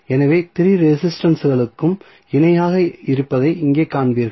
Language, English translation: Tamil, So, here you will see all the 3 resistances are in parallel